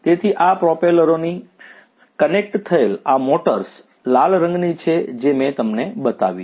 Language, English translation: Gujarati, So, connected to these propellers are these motors the red coloured ones that I showed you